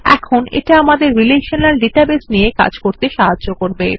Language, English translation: Bengali, Now this helps us to manage relational databases